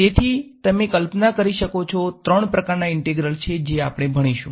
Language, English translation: Gujarati, So, as you can imagine there are three kinds of integrals that we will look at